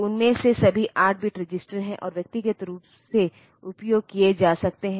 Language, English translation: Hindi, So, all of them are 8 bit register, and can be used singly